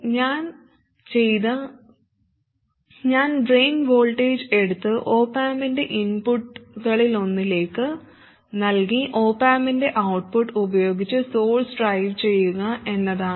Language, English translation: Malayalam, What I did was I took the drain voltage fed it to one of the inputs of the op amp and drive the source with the output of the op amp